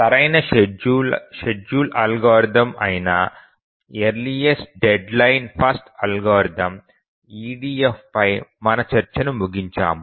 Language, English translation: Telugu, Now we have concluded our discussion on EDF, the earliest deadline first algorithm, that is the optimal scheduling algorithm